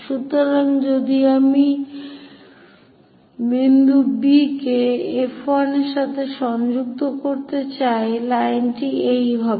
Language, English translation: Bengali, So, if I am going to connect point B with F 1, the line will be this one